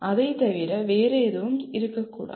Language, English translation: Tamil, It cannot be anything else